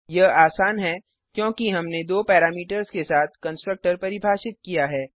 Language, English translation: Hindi, This is simply because we have defined a constructor with two parameters